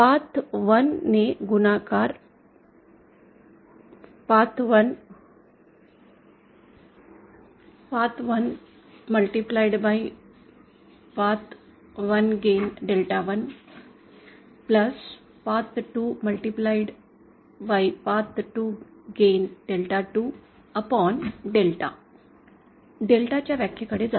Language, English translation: Marathi, That is Path 1 multiplied by path 1 gain multiplied by delta 1 + path to gain multiplied by delta 2 upon delta